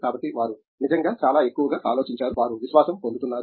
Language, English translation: Telugu, So, they have really thought much more, they are getting confidence